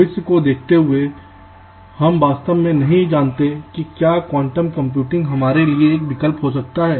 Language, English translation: Hindi, looking into the feature, we really do not can quantum computing be an option for us